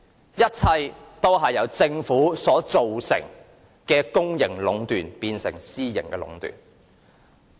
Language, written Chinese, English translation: Cantonese, 這一切均由政府將公營壟斷變成私營壟斷所致。, All of these should be attributed to the Governments decision of turning public monopoly into private monopolization